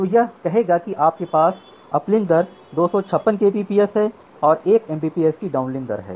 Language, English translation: Hindi, So, it will say that you can have 256 Kbps of uplink rate and say 1 Mbps of downlink rate